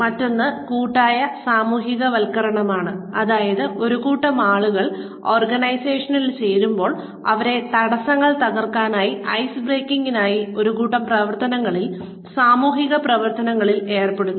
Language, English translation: Malayalam, The other is collective socialization, which means, when a group of people joined the organization, they are put through a group of activities, social activities, where barriers are broken, ice is broken